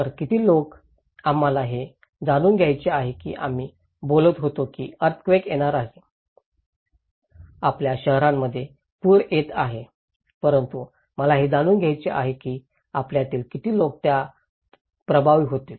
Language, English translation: Marathi, So, how many people, we will want to know that we were talking that earthquake is coming, flood is coming in your cities but I want to know that how and how many of us will be affected by that